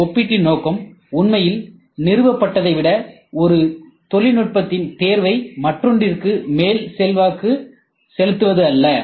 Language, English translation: Tamil, The purpose of this comparison is not really to influence choice of one technology over the other rather than the other established